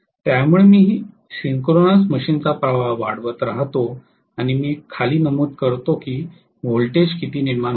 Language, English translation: Marathi, So I keep on increasing the flow of current of the synchronous machine and then I note down, what is the voltage generated